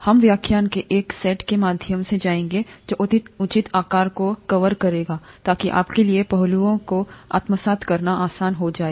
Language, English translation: Hindi, We’ll go through a set of lectures which will cover appropriately sized, so that it’ll be easy for you to assimilate aspects